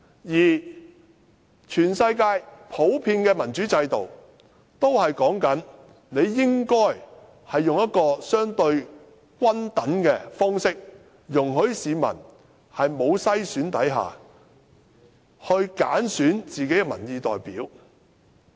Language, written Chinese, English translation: Cantonese, 而全世界普遍的民主制度，都是採用一種相對均等的方式，容許市民在沒有篩選下，揀選自己的民意代表。, All common democratic regimes in the world tend to adopt a relatively fair approach allowing people to choose their representative without screening